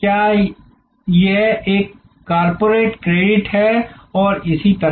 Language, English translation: Hindi, Is it a corporate credit and so on